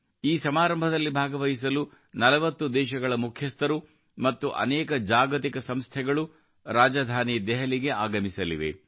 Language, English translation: Kannada, Heads of 40 countries and many Global Organizations are coming to the capital Delhi to participate in this event